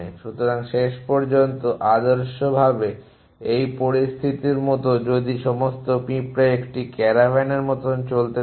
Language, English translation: Bengali, So, in the end ideally like in this situation if all the ants of moving along like 1 caravan